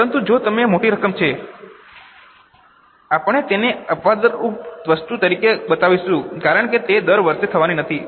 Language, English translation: Gujarati, But if it is a sizable amount, we will show it as exceptional item because it is not going to happen every year